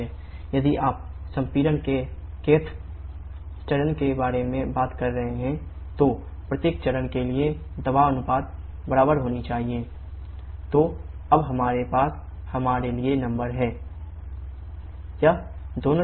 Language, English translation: Hindi, If you are talking about kth stage of compression, then the pressure ratio for each stage should be equal to P final by P initial to the power 1 by K